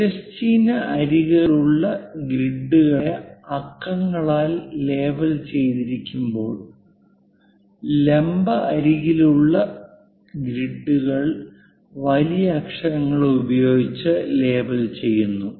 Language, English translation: Malayalam, The grids along the horizontal edges are labeled in numerals whereas, grids along the vertical edges are labeled using capital letters or uppercase letters